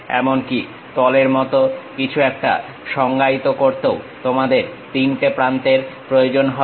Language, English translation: Bengali, Even to define something like a face you require 3 edges